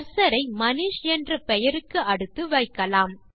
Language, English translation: Tamil, Let us place the cursor after the name,MANISH